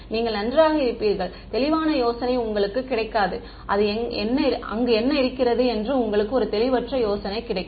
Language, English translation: Tamil, You will well, you will not get a clear idea you will get a fuzzy idea what is there